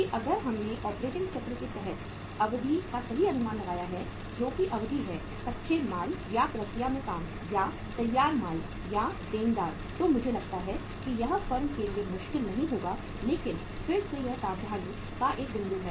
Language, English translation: Hindi, That if we have correctly estimated the duration under the operating cycle that is the duration of raw material or the work in process or finished goods or debtors then I think it will not be difficult for the firm but again it is a point of caution